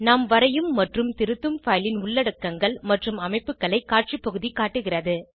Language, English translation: Tamil, Display area shows the structures and the contents of the file that we draw and edit